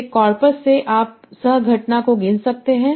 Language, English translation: Hindi, So from a corpus, you can kind of count the co occurrence age